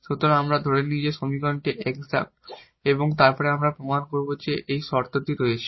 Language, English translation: Bengali, So, let the equation be exact, so we assume that the equation is exact and then we will prove that this condition holds